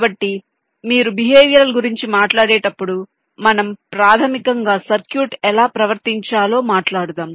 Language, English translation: Telugu, so when you talk about behavioral, we basically, ah, talking about how circuit is suppose to behave